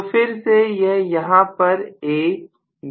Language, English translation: Hindi, So this is again A, B and C